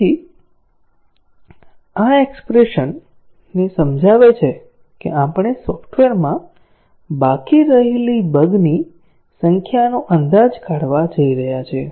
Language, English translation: Gujarati, So, this explains the expression that we are going to derive, to estimate the number of bugs that are remaining in the software